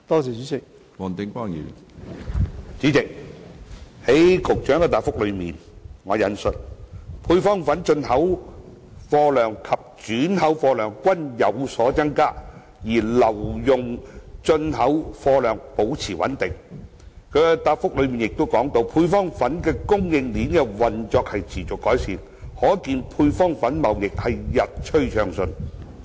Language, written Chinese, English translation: Cantonese, 主席，在局長的主體答覆中提到，"配方粉進口貨量及轉口貨量均有所增加，而留用進口貨量保持穩定"，另外亦提到"配方粉供應鏈的運作亦持續改善，可見配方粉貿易日趨暢順"。, President it is mentioned in the Secretarys main reply that the volume of import and re - export of powdered formulae have increased in general while the volume of retained import of powdered formulae has remained stable and [t]he operation of the supply chain of powdered formulae has continued to improve and the trading of powdered formulae has been getting smoother